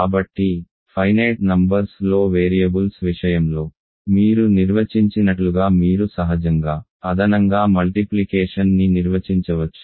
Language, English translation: Telugu, So, then you can naturally define addition multiplication just you like you define in the case of finite number of variables